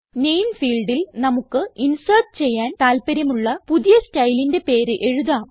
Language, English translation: Malayalam, In the Name field we can type the name of the new style we wish to insert